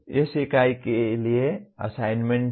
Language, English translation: Hindi, There is the assignment for this unit